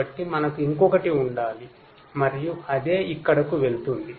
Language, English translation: Telugu, So, we have to have one more and same goes here as well, right